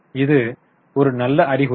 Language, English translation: Tamil, Is it a good sign